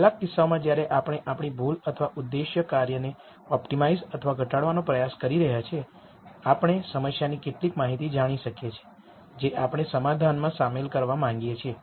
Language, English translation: Gujarati, In some cases while we are trying to optimize or minimize our error or the objective function, we might know some information about the problem that we want to incorporate in the solution